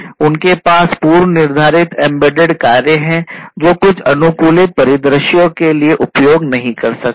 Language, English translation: Hindi, They have predefined embedded functions that cannot be used for certain you know customized scenarios